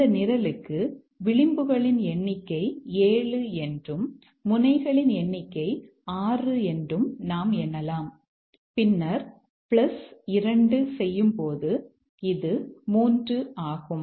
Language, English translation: Tamil, So, for this program, we find that the number of ages is 7, number of nodes is 6, you can count, and then plus 2, which is 3